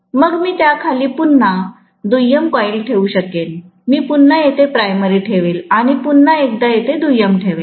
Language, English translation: Marathi, Then I may put a secondary coil right beneath that, again I will put the primary here, then I will put the secondary once again here